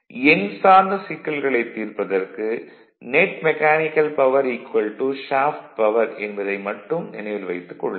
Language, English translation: Tamil, Only thing is that for numerical solving net mechanical power is equal to shaft power this thing you have to keep it in your mind